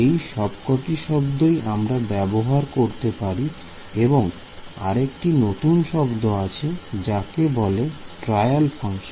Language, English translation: Bengali, These are all the different words used for it another word is you will find trial function